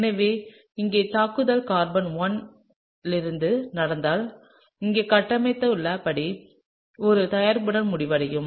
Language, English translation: Tamil, So, here if the attack happens from carbon number 1, then you would end up with a product as shown here, okay